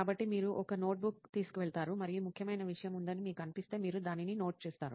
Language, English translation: Telugu, So you carry a notebook and if you feel there is something that is important, you note it down